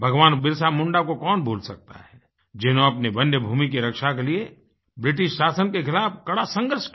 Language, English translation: Hindi, Who can forget BhagwanBirsaMunda who struggled hard against the British Empire to save their own forest land